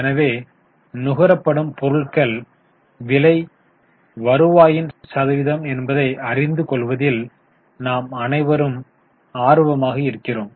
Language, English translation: Tamil, So, it will be of interest for us to know cost of material consumed is what percentage of the revenue